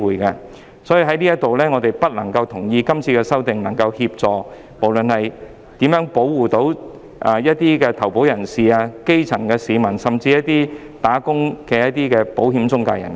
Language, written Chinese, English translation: Cantonese, 基於上述種種原因，我們不同意《條例草案》將有助保護投保人、基層市民，甚至是作為僱員的保險中介人。, Based on the above reasons we do not agree that the Bill will help to protect policyholders grass - roots people or even insurance intermediaries in their capacities as employees